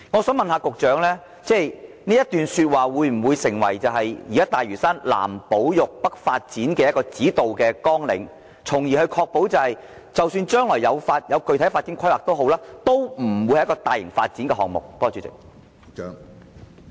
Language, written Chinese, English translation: Cantonese, 請問局長這段說話會否成為現時大嶼山"南保育、北發展"的指導綱領，確保即使將來進行具體發展規劃，也不會成為大型發展項目？, Will the Secretarys remarks be taken as the present guiding statement in pursuing conservation in the south and development in the north on Lantau to ensure that specific development planning if proceeded with will not be turned into a major development project?